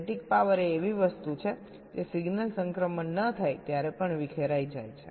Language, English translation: Gujarati, static power is something which is dissipated even when no signal transitions are occurring